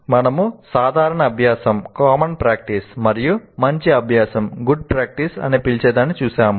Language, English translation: Telugu, So we looked at two what we called as common practice and good practice